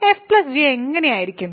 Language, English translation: Malayalam, So, what would be f plus g